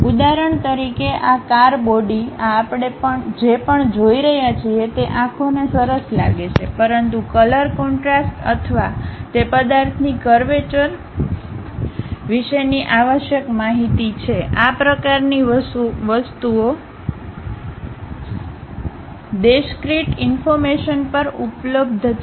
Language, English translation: Gujarati, For example: this car body whatever these we are looking at, it looks nice to eyes, but the essential information about color contrast or perhaps the curvature of that object; these kind of things are available at discrete information